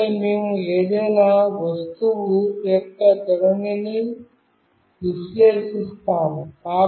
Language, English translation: Telugu, And then we will analyze the orientation of any object